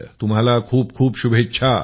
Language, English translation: Marathi, Many best wishes to you